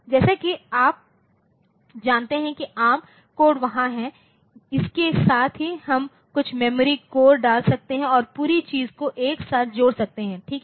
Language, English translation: Hindi, So, as you know that ARM code is there so, along with that we can put some memory core and synthesize the whole thing together, fine